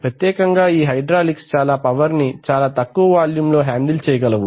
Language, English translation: Telugu, You know there are certain advantages especially hydraulics can handle a lot of power in a small volume